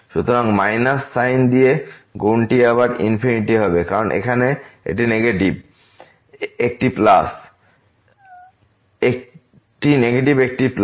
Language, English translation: Bengali, So, the product will be infinity again with minus sign because one is negative here, one is plus